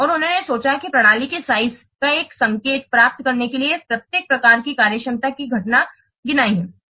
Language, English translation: Hindi, And he has counted the occurrence of each type of functionality in order to get an indication of the size of an information system